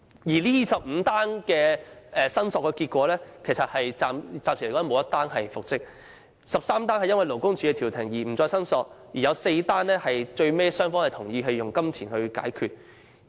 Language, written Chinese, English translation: Cantonese, 該25宗個案的申索結果顯示，暫時沒有任何個案的僱員能夠復職 ，13 宗個案的僱員因為勞工處調停而不再申索 ，4 宗個案的僱傭雙方最終同意以金錢解決糾紛。, Among those 25 cases there have not been any successful cases of reinstatement so far; there were 13 cases in which the employees agreed not to proceed with their claims after the mediation of LD; and there were four cases where the employers and the employees eventually agreed to settle the disputes with pecuniary compensation